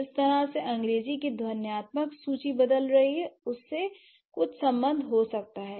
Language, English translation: Hindi, That could have been some connection with the way the phonetic inventory of English is changing, right